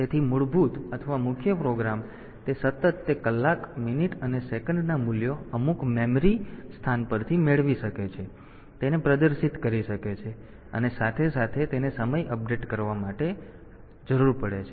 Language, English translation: Gujarati, So, the basic or the main program it may be continually getting those hour minute and second values from some memory location and displaying it, and side by side it needs to update the time for updating the time